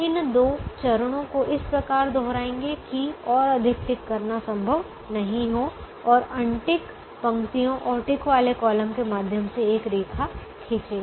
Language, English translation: Hindi, repeat these two steps, such that no more ticking is possible, and draw a lines through unticked rows and ticked columns